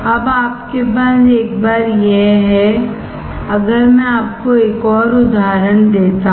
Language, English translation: Hindi, Now, once you have this, if I give you another example